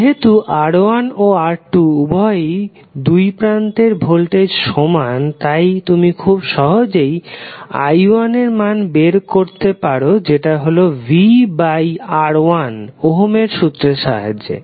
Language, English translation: Bengali, Since voltage is same across R1 and R2 both, you can simply find out the value of i1 is nothing but V by R1 using Ohm’s law